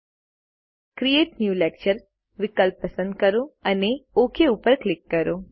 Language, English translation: Gujarati, Now, select the Create New Lecture option and click OK